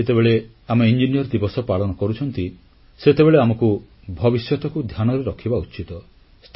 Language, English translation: Odia, While observing Engineers Day, we should think of the future as well